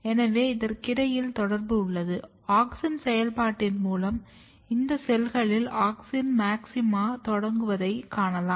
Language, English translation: Tamil, So, if there was a correlation if you look the auxin activity you can see that, these cells they start auxin maxima